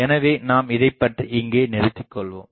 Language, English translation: Tamil, So, I stop it here